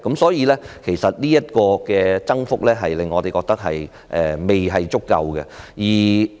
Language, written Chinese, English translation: Cantonese, 所以，就這個增幅來說，我們覺得並不足夠。, Such a rate of increase is in our view far from enough